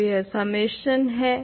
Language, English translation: Hindi, So, this is summation